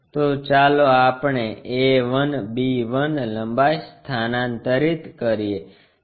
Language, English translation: Gujarati, So, let us transfer that a 1, b 1 length